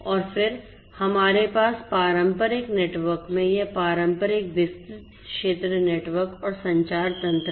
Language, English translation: Hindi, And then we have this wide area network the traditional wide area network in the conventional network and communication system